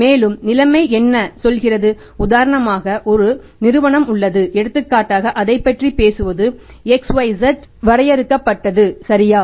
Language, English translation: Tamil, For example a company, there is a company for example to talk about it is XYZ limited, right